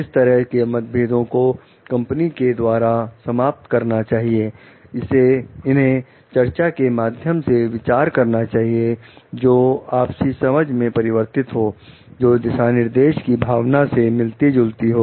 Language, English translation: Hindi, Such differences should be resolved by the company, it should be resolved by discussions leading to the understanding, which meets the spirit of the guidelines